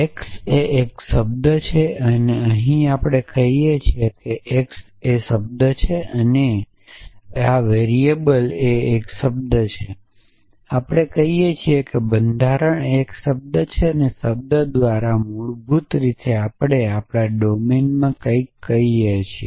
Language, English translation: Gujarati, So, x is a term here we are saying x is a term here we are saying a cons here we are saying variable is a term here we are saying constraint is term and by term basically we mean something in my domine essentially